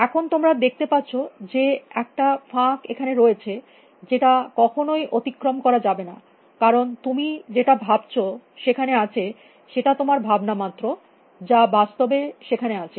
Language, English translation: Bengali, Now you see there is a gap that you can never cross, because what you think is out there is only what you are thinking is out there, what is really out there